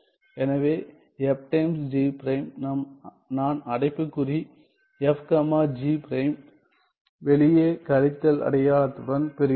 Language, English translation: Tamil, So, f times g prime, I get the bracket f comma g prime with the minus sign outside ok